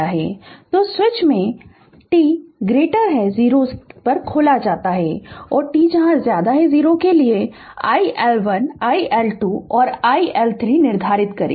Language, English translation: Hindi, So, the switch is opened at t greater than 0 and determine iL1 iL2 and iL3 for t greater than 0